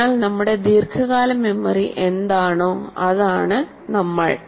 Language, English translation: Malayalam, So we are what our long term memory is